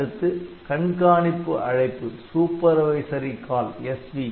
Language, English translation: Tamil, Then there is supervisory call SV call